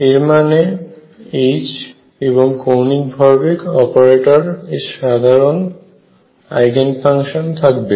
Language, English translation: Bengali, That means, that the H and angular momentum operator have common eigen functions